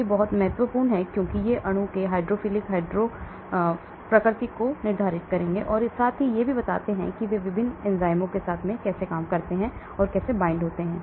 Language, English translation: Hindi, These are very important because these determine the hydrophilic lipophilic nature of the molecule plus also how they go and bind with the various enzymes